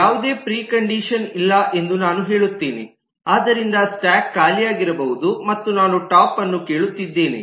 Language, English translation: Kannada, i will say that there is no precondition, so which means that the stack could be empty and i may be asking for a top